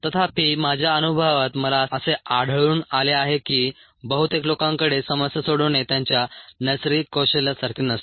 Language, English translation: Marathi, however, in my experience i found that most people do not have problem solving as that natural skill